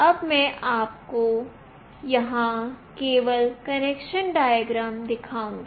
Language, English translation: Hindi, Now, I will just show you the connection diagram here